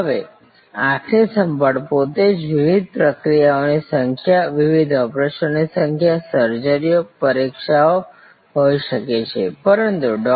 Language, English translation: Gujarati, Now, eye care itself can be number of different procedures, number of different operations, surgeries, examinations, but Dr